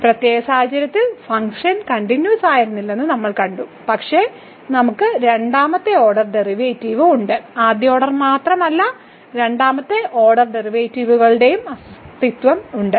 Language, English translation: Malayalam, So, in this particular case we have seen the function was not continuous, but we have a second order derivative not only the first order we have the existence of second order derivatives